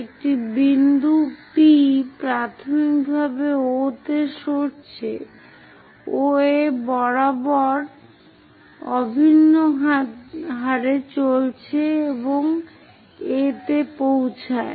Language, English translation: Bengali, A point P initially at O moves along OA at a uniform rate and reaches A